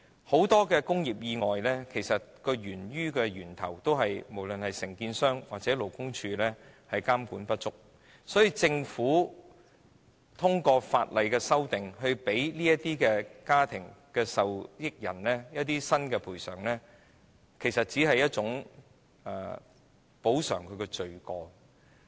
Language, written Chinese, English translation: Cantonese, 很多工業意外源於承建商或勞工處監管不足，因此政府修訂法例，給予有關家庭受益人一個新的賠償額，其實只是補償罪過。, Many industrial accidents stem from inadequate supervision on the part of contractors or the Labour Department . Therefore the Government in fact only wants to redeem its sins by offering a new compensation amount to the beneficiaries of the relevant families through legislative amendments